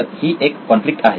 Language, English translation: Marathi, That is the conflict